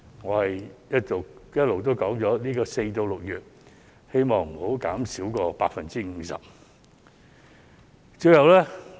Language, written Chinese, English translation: Cantonese, 我一直提出，希望在4月至6月的租金減免不會少於 50%。, I have been suggesting that the rental reduction from April to June should not be less than 50 %